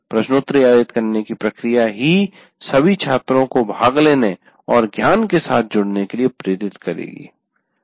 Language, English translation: Hindi, And the very process of conducting a quiz will make all the students kind of participate and get engaged with the knowledge